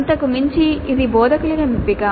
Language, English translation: Telugu, Beyond that it is instructor's choice